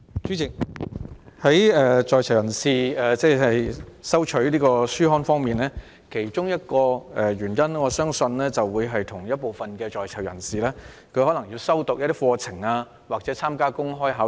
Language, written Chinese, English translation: Cantonese, 主席，在囚人士需要收取書刊，原因之一相信是他們正在修讀某些課程或準備參加公開考試。, President I think one of the reasons for PICs to receive publications is that they have to pursue studies or prepare for open examinations